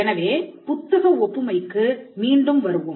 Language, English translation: Tamil, So, let us come back to the book analogy